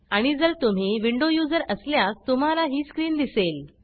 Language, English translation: Marathi, And If you are a Windows user, you will see this screen